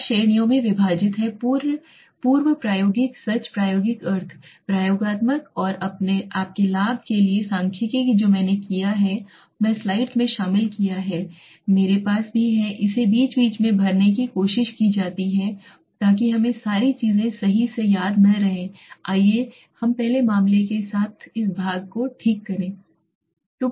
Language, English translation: Hindi, Now let us look at the different types so pre experimental they divided the experminental designs are divided into four categories okay pre experimental true experimental quasi experimental and statistical for your benefit what I have done is I have incorporate in slides in between also I have tried to fill it in between put in between so that we do not have to remember all the things right let us go with first case this part okay